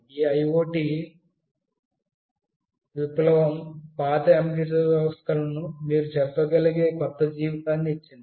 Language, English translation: Telugu, This IoT revolution has given the old embedded systems a new lease of life you can say